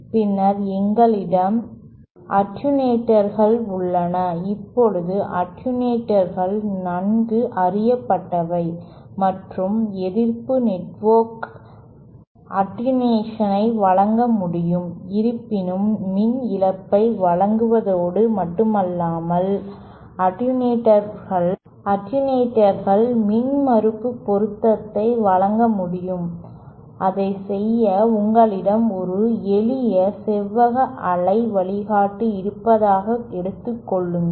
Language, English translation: Tamil, Then we have attenuators, now attenuators are well known, and resistive network can provide attenuation, however in addition to providing power loss, attenuators should also provide impedance matching and to do that, say you have a simple rectangular waveguide